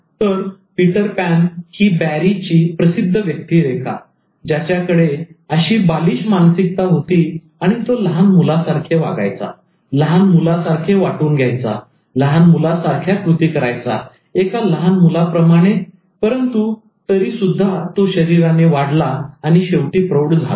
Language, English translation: Marathi, So Peter Pan from Barry's famous character who actually has this child mindset inside and he behaves, feels things, acts just like a child but although he could grow into an adult body